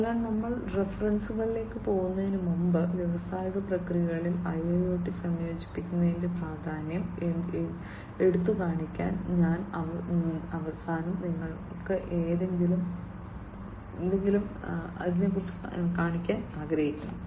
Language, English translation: Malayalam, So, before we go to the references, I wanted to show you something at the end to highlight the importance of the incorporation of IIOT in the industrial processes